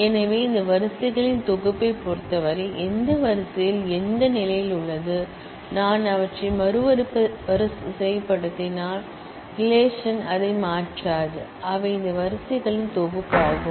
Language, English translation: Tamil, So, it does not really matter that in terms of this collection of rows, which row is at what position, if I reorder them, the relation does not change it is just that they are a collection of this set of rows